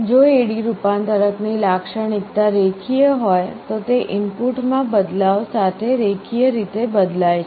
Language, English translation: Gujarati, If the characteristic of the A/D converter is linear then it changes linearly with changes in the input